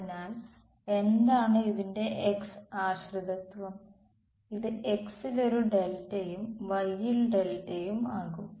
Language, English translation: Malayalam, So, what about the x dependence of this, delta is going be a delta x then delta y